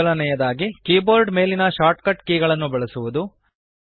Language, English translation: Kannada, First is using the shortcut keys on the keyboard